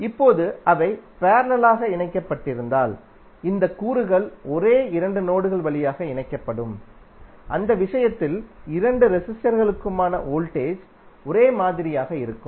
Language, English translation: Tamil, Now if those are connected in parallel then this elements would be connected through the same two nodes and in that case the voltage across both of the resistors will be same